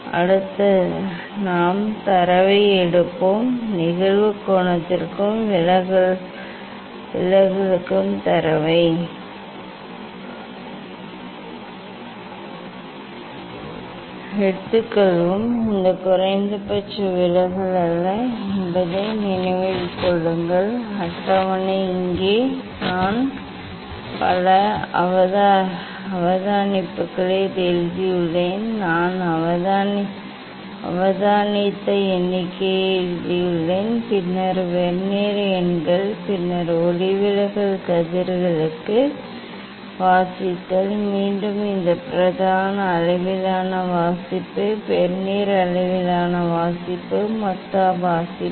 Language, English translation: Tamil, Next we will take data, we will take data for angle of incidence and deviation ok; remember this is not minimum deviation is the deviation the table here I have written number of observation, I have written number of observation Then Vernier numbers, then reading for the refracted rays; again this main scale reading, Vernier scale reading, total reading